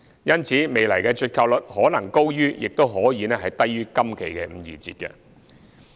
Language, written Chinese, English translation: Cantonese, 因此，未來的折扣率可能高於或低於今期的五二折。, For this reason future discounts may be higher or lower than the 52 % discount in this phase